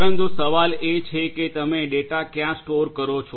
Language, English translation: Gujarati, But the question is where do you store the data